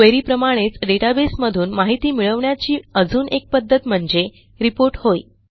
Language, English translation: Marathi, A report is another way to retrieve information from a database, similar to a query